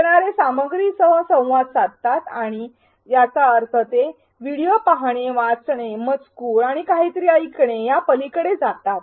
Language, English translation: Marathi, Learners interact with the content and this means they go beyond watching videos, reading text and listening to something